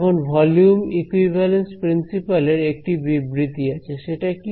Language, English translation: Bengali, So, this is the volume equivalence theorem right ok